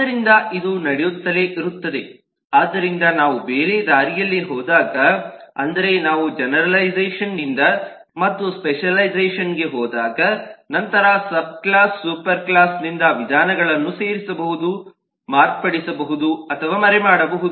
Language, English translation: Kannada, so when we go the other way, that is, when we go from generalisation to specialisation, then a subclass can add, modify or hide methods from the superclass